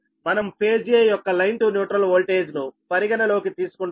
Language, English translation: Telugu, we are taking, considering phase a, into neutral voltage